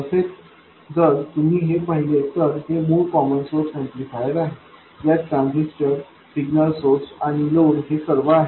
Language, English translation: Marathi, So, if you look at this, this is the basic common source amplifier, it has the transistor, signal source and load, that is all